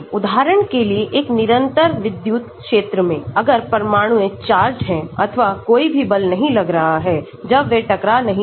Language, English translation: Hindi, For example, in a constant electric field, if the atoms are charged or there might not be any force acting when they are not colliding